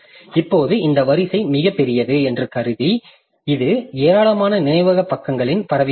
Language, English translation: Tamil, Now, assuming that this array is very large, it spans over a large number of memory pages